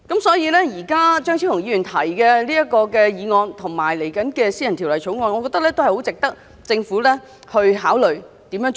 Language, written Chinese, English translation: Cantonese, 所以，張超雄議員今天提出的議案，以及將會提出的私人條例草案，我認為很值得政府思考應該怎樣做。, I thus think that the Government should consider Dr Fernando CHEUNGs motion today and the private bill he is going to propose